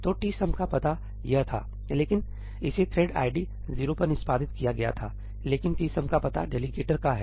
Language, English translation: Hindi, So, the address of tsum was this, but it was executed on thread id 0, but the address of tsum is that of the delegator